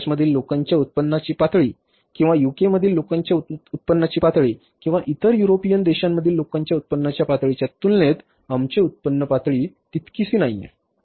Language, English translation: Marathi, Our income level is not that much as compared to the income level of the people in US or the income level of people in UK or the income in the other European countries